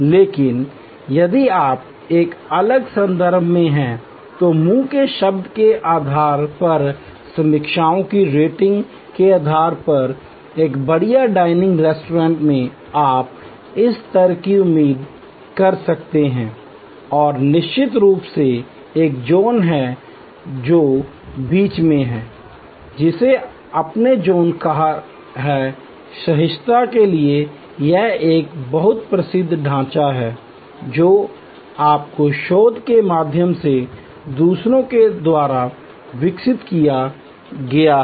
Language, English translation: Hindi, But, if you are in a different context then based on word of mouth, based on reviewers rating at a fine dining restaurant you may have this level of expectation and of course, there is a zone which is in between, which you called the zone of tolerance, this is a very famous framework developed by zeithaml others through their research